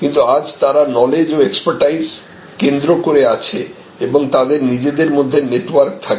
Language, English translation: Bengali, But, they are today centered around expertise centered around knowledge and the network with each other